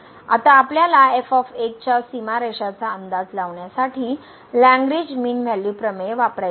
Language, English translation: Marathi, Now, we want to use the Lagrange mean value theorem to estimate the bounds on